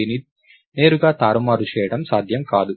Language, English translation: Telugu, It cannot be manipulated directly